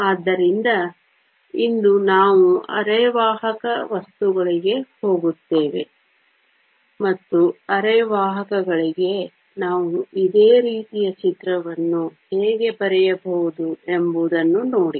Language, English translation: Kannada, So, today we will move on to semiconductor materials, and see how we can draw a similar picture for semiconductors